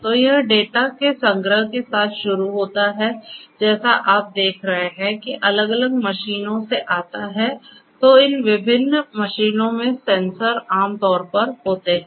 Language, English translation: Hindi, So, it starts with a collection of data if you look at which comes from different machines, the sensors in these different machines typically